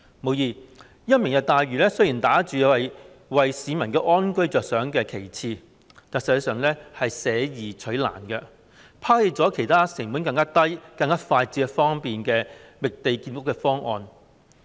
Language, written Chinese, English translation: Cantonese, 無疑，"明日大嶼願景"打着為市民安居着想的旗幟，但實際上是捨易取難，拋棄了其他成本更低、更快捷方便的覓地建屋方案。, Undoubtedly the Lantau Tomorrow Vision bears a banner saying that it is to provide more housing for members of the public to lead a comfortable life . But beneath the surface it has chosen the hard way by abandoning other more economical efficient and convenient means of finding more land for building housing units